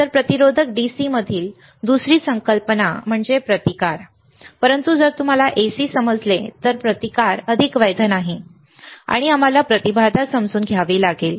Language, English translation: Marathi, So, resistors another concept in DC is resistance right, but if you understand AC then the resistance is not any more valid and we have to understand the impedance